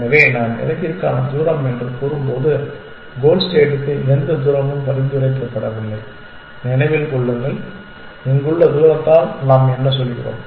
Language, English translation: Tamil, So, when I say distance to goal I mean the distance to the goal position no suggest keep in mind and what do we mean by distance here